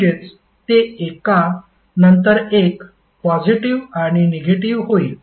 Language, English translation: Marathi, So, that means it will alternatively become positive and negative